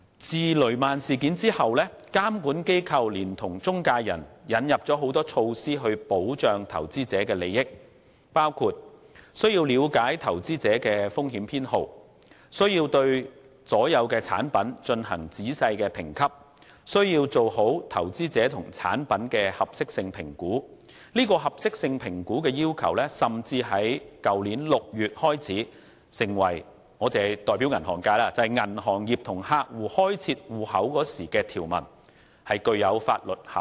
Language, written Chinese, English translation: Cantonese, 自雷曼事件後，監管機構聯同中介人引進了很多措施來保障投資者的利益，包括中介人需要了解投資者的風險偏好，需要對所有產品進行仔細的評級，需要做好投資者與產品的合適性評估，而合適性評估的要求更於去年6月開始成為——我是代表銀行界——銀行與客戶開設戶口時的條文，具有法律效力。, Since the Lehman Brothers incident the regulatory authorities and intermediaries have jointly introduced many measures to protect investor interests . These measures include the requirements for intermediaries to understand investors risk appetites to rate all products meticulously and to assess the suitability of the products for the clients . Since June last year the requirement of suitability assessment has become―I am speaking on behalf of the banking sector―a clause in the account opening document between a bank and its client carrying legal effect